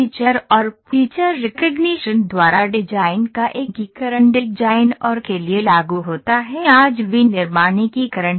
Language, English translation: Hindi, The integration of design by feature and feature recognition, designed by feature and feature recognition is applicable for design and manufacturing integration today